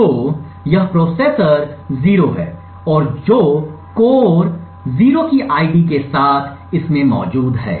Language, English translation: Hindi, So, this is processor 0 and which is present in this on the core with an ID of 0